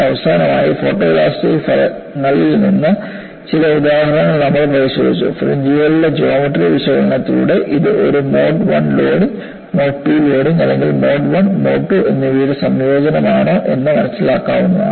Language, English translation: Malayalam, Finally, we have looked at some examples, wherein photo elastic results show, the geometric features of the fringe are indicative of whether it is a mode 1 loading, mode 2 loading or a combination of mode 1 and mode 2